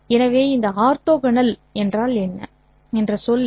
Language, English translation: Tamil, So what is this orthogonal word